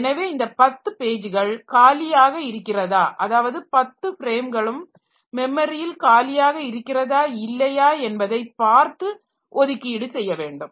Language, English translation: Tamil, So, you see whether 10 pages are free in the 10 frames are free in the memory or not